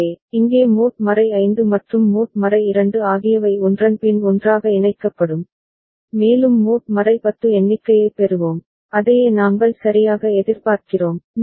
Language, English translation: Tamil, So, here mod 5 and mod 2 will be put together one after another and we shall get mod 10 count, that is what we expect right